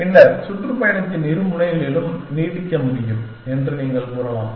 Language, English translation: Tamil, And then, you can say you can extend at either end of the tour